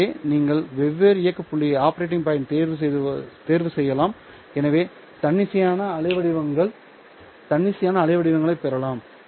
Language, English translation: Tamil, So you can pick different operating points and therefore get arbitrary waveforms